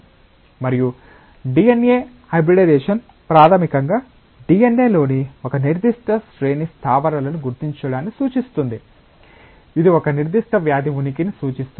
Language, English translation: Telugu, And DNA hybridisation basically refers to like identification of a particular sequence of bases in a DNA, which can indicate the existence of a certain disease